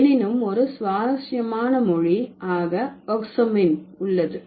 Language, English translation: Tamil, And then there is another language, oxapmin